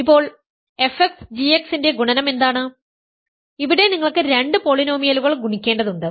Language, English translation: Malayalam, Now, what is f x times g x, the point is f x times g x, you will have to multiply two polynomials